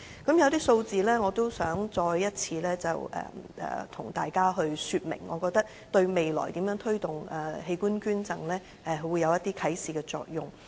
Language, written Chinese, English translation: Cantonese, 我想再次跟大家說明一些數字，我覺得對未來如何推動器官捐贈會有啟示作用。, I wish to highlight some data to Members and I think it is indicative of the way forward for promoting organ donation